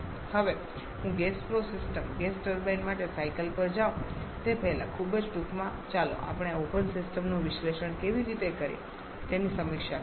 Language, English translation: Gujarati, Now before I go to the cycle for a gas flow system gas turbine very briefly let us review how we analyze an open system